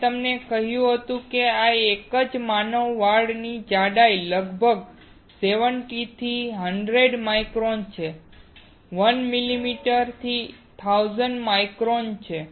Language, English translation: Gujarati, I had told you that the thickness of a single human hair is around 70 to 100 microns; 1 millimeter is 1000 microns